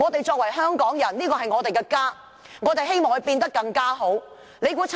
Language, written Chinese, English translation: Cantonese, 身為香港人，這裏是我們的家，我們希望它變得更好。, We are the people of Hong Kong and this is our home . We want to make it better